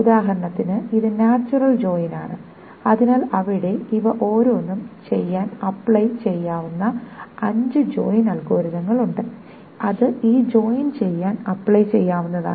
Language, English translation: Malayalam, So for example this is a natural joint and there are five joint algorithms that can be applied to do each of this, it can be applied to do this joint